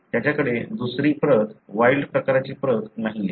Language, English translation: Marathi, He doesn’t have the other copy, wild type copy